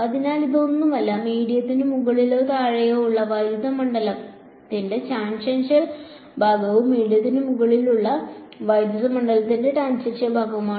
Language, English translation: Malayalam, So, this E 2 x this is nothing, but the tangential part of electric field above or below the medium and E 1 x is the tangential part of the electric field above the medium ok